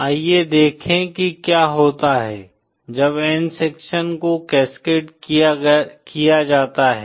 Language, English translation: Hindi, Let us see what happens when n sections are cascaded